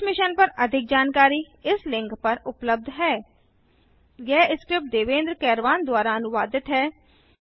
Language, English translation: Hindi, More information on this Mission is available at this link http://spoken tutorial.org/NMEICT Intro ] The script is contributed by Neeta Sawant from SNDT Mumbai